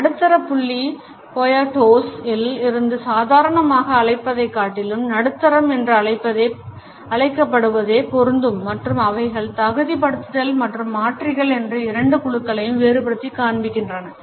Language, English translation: Tamil, From a middle point Poyatos has prefer to call medium rather than normal and distinguishes two groups of modifiers they are qualifiers and